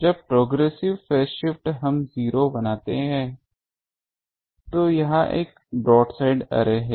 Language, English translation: Hindi, When the progressive phase shift we make 0, that is a broadside array